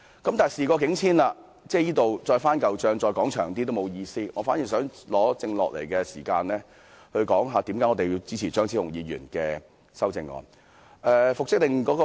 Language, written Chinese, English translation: Cantonese, 現在事過境遷，再多說亦沒有意思，我反而想利用餘下的時間，解釋為何我們支持張超雄議員的修正案。, Now that the by - election was over it will be meaningless to talk about it . Instead I will use the remaining time to explain why we support Dr Fernando CHEUNGs amendments